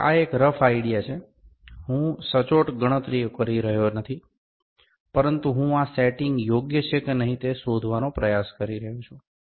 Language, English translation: Gujarati, So, this is rough idea, I am not doing the exact calculations, but I can try to find whether this setting is correct or not